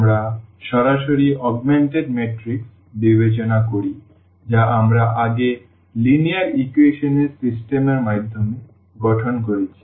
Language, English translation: Bengali, We consider directly the augmented matrix which we have earlier formed through the system of linear equations